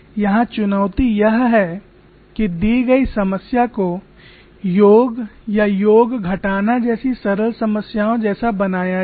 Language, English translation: Hindi, Here the challenge is how to reduce the given problem as sum or sum and subtraction of simpler problems